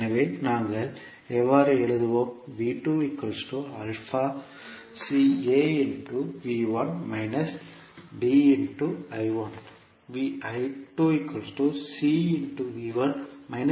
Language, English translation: Tamil, So, how we will write